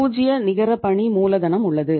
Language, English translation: Tamil, There is a zero net working capital